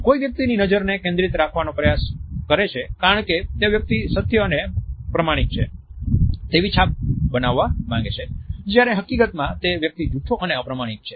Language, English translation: Gujarati, A person may be trying to keep the gaze focused because the person wants to come across is it truthful and honest one whereas, in fact, the person is a liar or a dishonest person